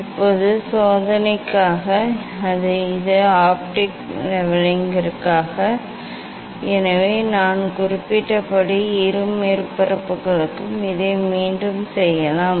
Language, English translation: Tamil, Now, for the experiment this so this for optical leveling, so this you can repeat for the both surfaces as I mentioned